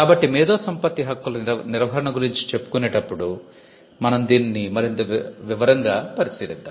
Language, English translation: Telugu, So, in the class where we deal with management of intellectual property right, we will look at this in greater detail